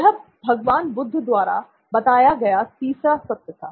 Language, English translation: Hindi, This was Lord Buddha’s third truth